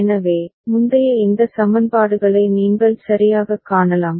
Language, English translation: Tamil, So, you can see that earlier these equations right